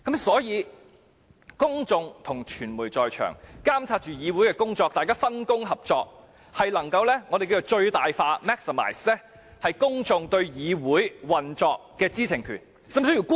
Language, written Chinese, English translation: Cantonese, 所以，如果傳媒及公眾在場監察議會過程，大家分工合作，便能讓公眾發揮對議會運作的最大知情權。, Thus if members of the press and of the public can monitor the proceedings in the galleries and do their part the right to know of the public can be realized to its fullest